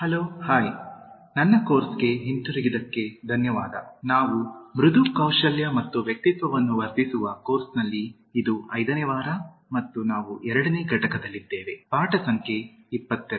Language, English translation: Kannada, Hai, welcome back to my course on Enhancing Soft Skills and Personality, this is the fifth week and we are on second unit, lesson number 22nd